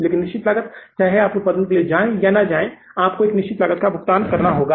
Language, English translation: Hindi, But fixed cost, whether you go for the production, you don't go for the production, fixed cost you have to pay